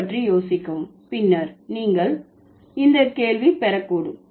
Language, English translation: Tamil, Think about it and then you might get this question later